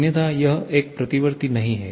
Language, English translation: Hindi, Otherwise, it is not a reversible one